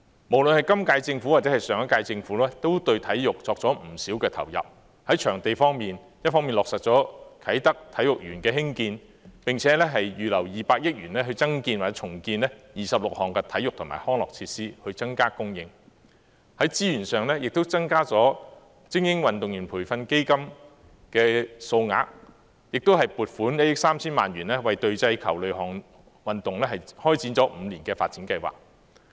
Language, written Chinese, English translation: Cantonese, 無論今屆或上屆政府，也對體育作出不少投入：在場地方面，一方面落實興建啟德體育園，並且預留200億元增建或重建26項體育及康樂設施，增加供應；在資源上，亦增加精英運動員培訓基金的數額，並撥款1億 3,000 萬元為隊際球類運動開展了5年的發展計劃。, Both the current term and the last term of Government have made huge investments in sports . As far as venues are concerned the green light has been given to the construction of the Kai Tak Sports Park and 20 billion has been earmarked to launch 26 projects to develop new or redevelop existing sports and recreation facilities in order to increase supply . As for resources additional funding will be injected into the Elite Athletes Development Fund and 130 million will be allocated to launch a five - year programme to promote the development of team ball games